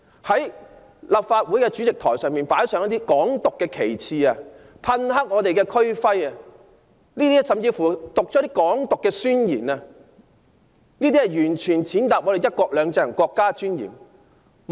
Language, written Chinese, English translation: Cantonese, 他們在立法會主席台上擺設"港獨"旗幟，噴黑區徽，甚至作出"港獨"宣言，這些全是踐踏"一國兩制"和國家尊嚴的行為。, They placed a flag symbolizing Hong Kong independence on the President Podium sprayed the regional emblem with black paint and even made a declaration of Hong Kong independence . All these actions trampled on the principle of one country two systems and the dignity of our country